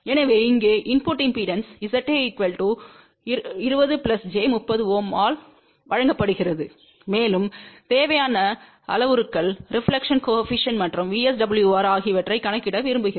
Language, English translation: Tamil, So, here is an example where input impedance is given by Z A equal to 20 plus j 30 Ohm and the required parameters are that we want to calculate reflection coefficient and VSWR